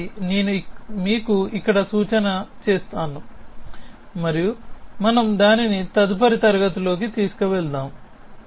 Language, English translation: Telugu, So, let me just give you a hint here and we will take it up the next class